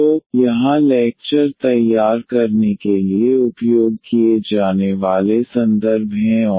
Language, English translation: Hindi, So, here are the references used for preparing the lectures and